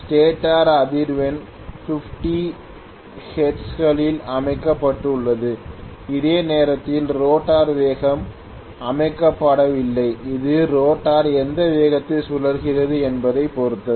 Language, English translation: Tamil, The stator frequency is set in stone that is 50 hertz whereas the rotor speed is not set in stone that depends up on at what velocity the rotor is rotating